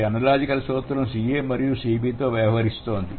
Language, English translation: Telugu, And this analogical principle deals with CA and CB